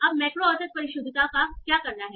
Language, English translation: Hindi, So this is your macro average precision